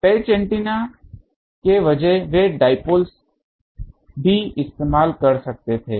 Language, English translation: Hindi, Instead of patch antenna they could have used dipoles also